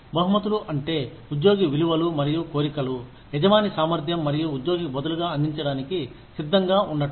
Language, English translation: Telugu, Rewards include, anything an employee, values and desires, that an employer is, able and willing to offer, in exchange for employee contributions